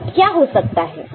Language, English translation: Hindi, What can happen